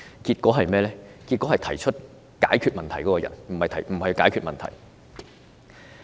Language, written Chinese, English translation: Cantonese, 然而，政府只是解決提出問題的人，而非解決問題。, However the Government has not dealt with the problems but has only dealt with those who raised the problems